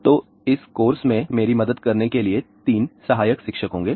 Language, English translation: Hindi, So, to help me in this course, there will be 3 teaching assistance